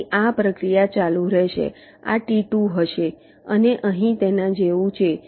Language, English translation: Gujarati, ok, this will be t two, and here it will like this